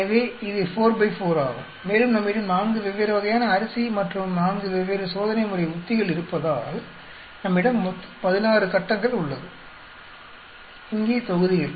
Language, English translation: Tamil, So this is 4 by 4 and because we have 4 different varieties of rice and 4 different treatment strategies, we have totally 16 blocks here